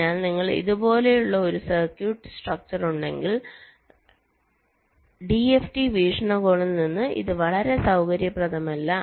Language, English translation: Malayalam, so if you have a circuit structure like this, this is not very convenient from d f t point of view